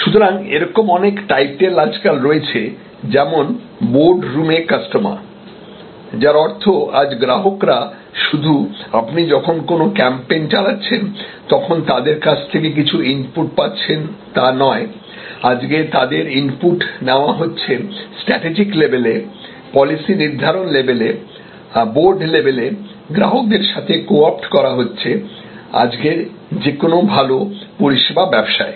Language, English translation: Bengali, So, there are titles like customers in the boardroom, so which means today customers are not just simple inputs coming from on you know certain times when you are having a campaign, you are having the customer inputs at the strategic level, at the policy making level, at the board level your co opting the customer in a good service business today